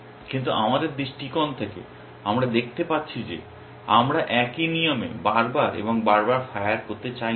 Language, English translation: Bengali, But from our point of view, we can see that we do not want the same rule to fire again and again and again essentially